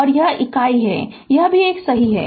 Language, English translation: Hindi, And this is unit this is also 1 right